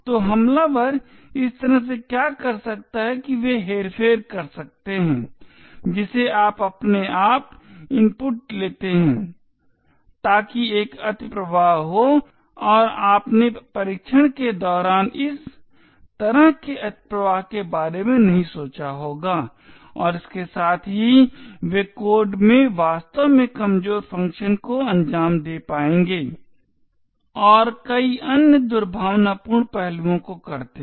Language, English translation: Hindi, So what attackers could do this way is that they could manipulate what inputs you take automatically so that there is an overflow and you would not have thought of such overflow during the testing and with this they would be able to actually execute vulnerable functions in the code and do a lot of other malicious aspects